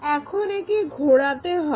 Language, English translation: Bengali, Now, this has to be rotated